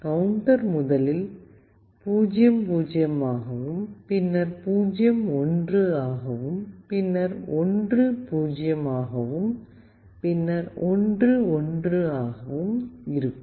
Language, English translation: Tamil, The counter will be first 00 then 01 then 10 and then 11